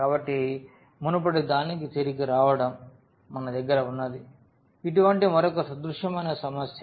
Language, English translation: Telugu, So, just getting back to the previous one, what we have it is a similar problem